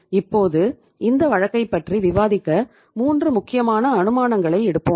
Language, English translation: Tamil, Now to discuss this case we will take 3 important assumptions